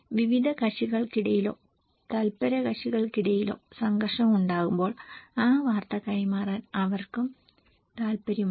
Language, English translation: Malayalam, And when there is a conflict among different parties or stakeholders they are also very interested to transmit that news